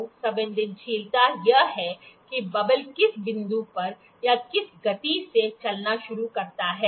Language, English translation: Hindi, So, the sensitivity is that at what point at what movement does the bubble starts moving